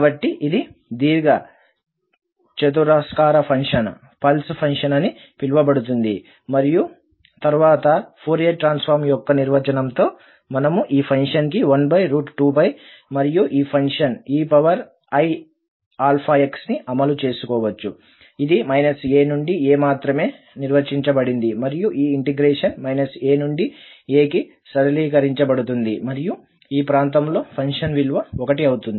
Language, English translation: Telugu, So, this is the so called rectangular function, pulse function and then with the definition of the Fourier transform we can apply to this function which says that 1 over square root 2 pi and this function e power i alpha x, and since this function is defined only between minus a and a so this integral will be simplified to minus a to a and the function value in the region, it is 1